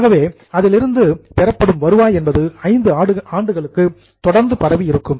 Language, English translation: Tamil, So, revenue which is generated by using that machinery is spread over 5 years